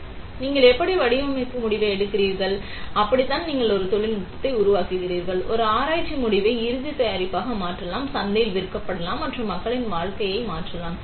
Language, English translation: Tamil, So, that is how you would make design decisions and that is how you make a technology, a research outcome translatable into a final product; that can be sold in the market and can change lives of people